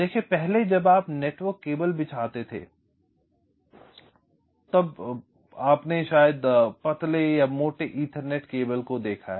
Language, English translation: Hindi, see earlier when you laid out the network cables for those of you who have seen those thin and thick ethernet cables